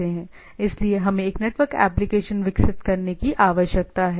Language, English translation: Hindi, Now so what we require to develop a network application